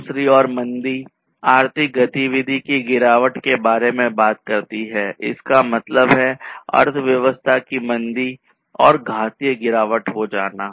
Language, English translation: Hindi, Recession on the other hand, talks about the decline in the economic activity recession; that means, slowing down, slowdown of the economy